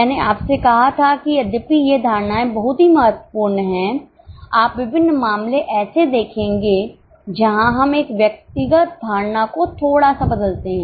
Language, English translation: Hindi, I had told you that though these assumptions are very important conceptually, you will come across various cases where we dilute an individual assumption